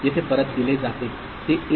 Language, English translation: Marathi, So, the output is 1